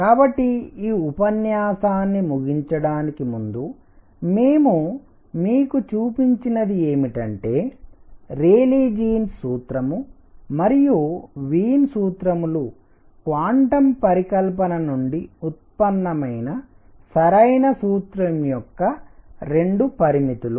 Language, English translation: Telugu, So, to conclude this lecture what we have shown you is that the Rayleigh Jean’s formula and the Wien’s formula are 2 limits of the correct formula which is derived from quantum hypothesis